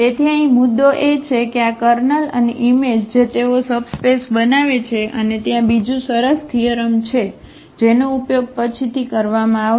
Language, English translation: Gujarati, So, here the point is that these kernel and the image they form subspace and there is another nice theorem which will be used later